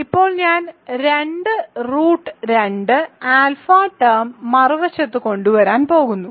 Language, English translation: Malayalam, So now, I am going to bring two root 2 alpha term on the other side